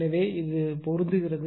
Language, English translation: Tamil, So, it is matching right